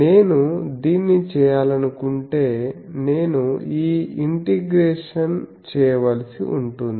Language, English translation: Telugu, If I want to do this I will have to perform this integration